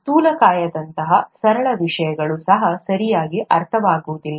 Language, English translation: Kannada, Even the simple things, such as obesity is not understood properly